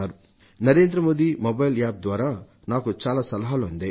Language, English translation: Telugu, I have received thousands of suggestions on the NarendraModi Mobile App